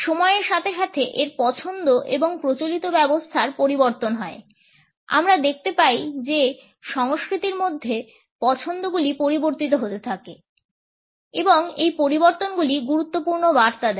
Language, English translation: Bengali, Its preferences and regime change over time through the passage of time we find that the preferences within cultures keep on changing and these changes imparts important messages